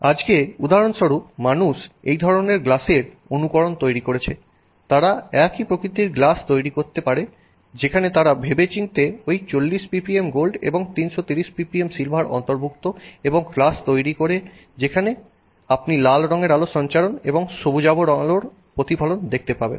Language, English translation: Bengali, Today for example people have made copies of this kind of a glass, they can make a glass of similar nature where they have deliberately included this 40 ppm of gold and 330 ppm of silver and produced glass where you can see red in transmission you can see green reflection